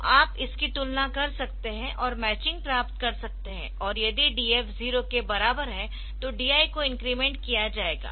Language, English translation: Hindi, And if DF equal to 0, then DI will be incremented if DF equal to 1, DI will be decremented